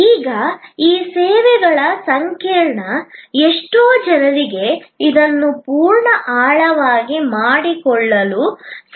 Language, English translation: Kannada, Now, this services complex, so many people may not be able to understand it in full depth